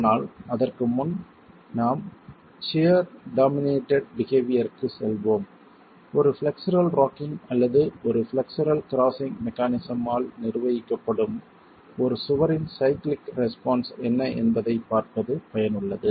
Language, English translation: Tamil, But before we move on to the shear dominated behavior, it's useful to look at what's the cyclic response of a wall that is governed by a flexual rocking or a flexual crushing mechanism itself